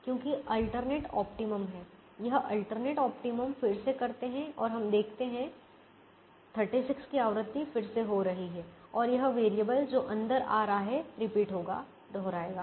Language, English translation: Hindi, we can do the alternate optimum again and we see the same thing occurring with an alternate solution of thirty six and this variable coming in and it will repeat